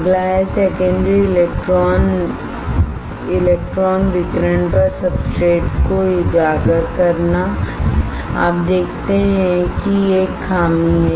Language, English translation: Hindi, Next is exposes substrate to secondary electron radiation you see that there is a drawback